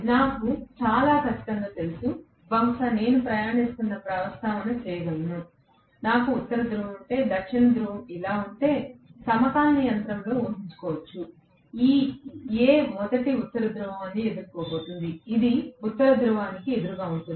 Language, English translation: Telugu, I am very sure, maybe I can just make a passing mention, if I have the North Pole, South Pole like this, may be in a synchronous machines imagine, this A is going to face first North Pole, this is going face North Pole